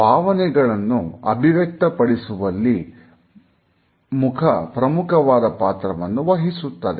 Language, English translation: Kannada, Mouth plays a major role in communication of our emotions